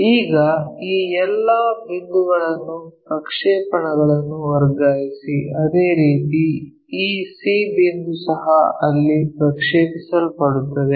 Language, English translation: Kannada, Now, transfer all these points the projection, similarly this c point also projected there